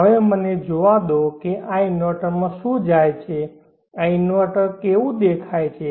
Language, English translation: Gujarati, Now let me see what goes into this inverter how this inverter look like